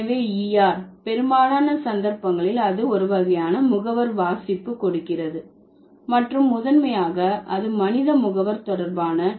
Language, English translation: Tamil, So, ER, in most of the cases it gives a kind of agentive reading and primarily it is related to the human agents